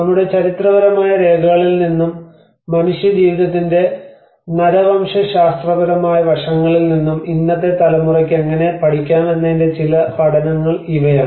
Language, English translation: Malayalam, \ \ So, these are all some learnings of how the today's generation can also learn from our historical records and the anthropological aspect of human life